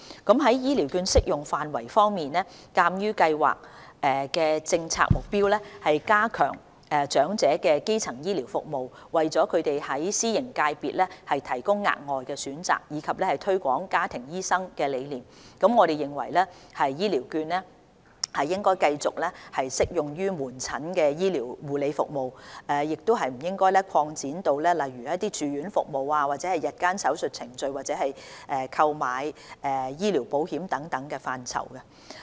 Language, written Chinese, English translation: Cantonese, 在醫療券的適用範圍方面，鑒於計劃的政策目標是加強長者的基層醫療服務、為他們在私營界別提供額外選擇，以及推廣家庭醫生的理念，我們認為醫療券應繼續只適用於門診醫療護理服務，而不應擴展至例如住院服務、日間手術程序或購買醫療保險等範疇。, With regard to the coverage of HCVs in view that the policy objectives of the Scheme are to enhance primary health care services for the elderly provide them with additional choices in the private sector and promote the concept of family doctors we consider that HCVs should continue only to be used for outpatient medical care services and should not be extended to areas such as inpatient services day surgery procedures or buying health insurance